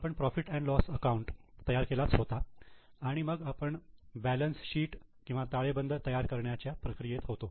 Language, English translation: Marathi, We have already prepared the profit and loss account and now we were in the process of preparing the balance sheet